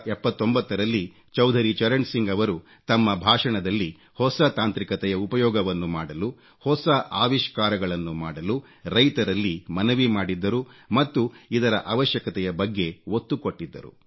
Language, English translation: Kannada, Chaudhari Charan Singh in his speech in 1979 had urged our farmers to use new technology and to adopt new innovations and underlined their vital significance